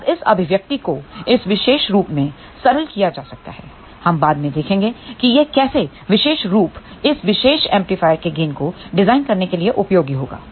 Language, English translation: Hindi, Now, this expression can be simplified in this particular form, we will see later on how this particular form will be useful to design the gain of this particular amplifier